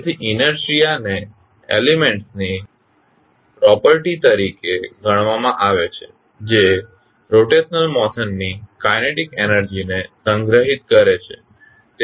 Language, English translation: Gujarati, So, inertia is considered as the property of an element that stores the kinetic energy of the rotational motion